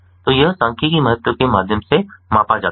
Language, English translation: Hindi, so this is measure through statistical significance